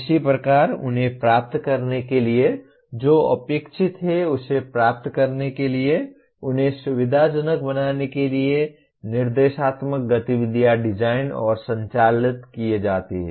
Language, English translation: Hindi, Similarly, instructional activities are designed and conducted to facilitate them to acquire what they are expected to achieve